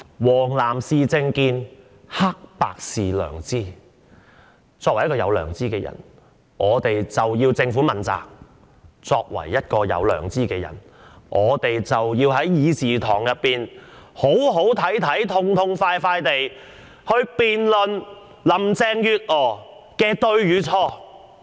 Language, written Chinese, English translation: Cantonese, "黃藍是政見，黑白是良知"，作為一個有良知的人，我們便要向政府問責；作為一個有良知的人，我們便要在議事堂上"好好睇睇"、痛痛快快地辯論林鄭月娥的對與錯。, Yellow and blue a matter of political views; black and white a matter of conscience . As persons of conscience we must hold the Government accountable; as persons of conscience we must put up a good performance in this Chamber and forthrightly debate the rights and wrongs of Carrie LAM